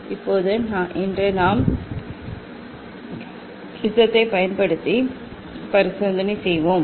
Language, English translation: Tamil, Now today we will do experiment using prism